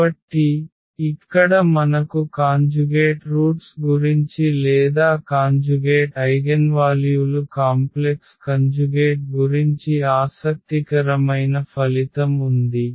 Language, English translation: Telugu, So, here that is the interesting result we have about the conjugate roots or about the conjugate eigenvalues complex conjugate here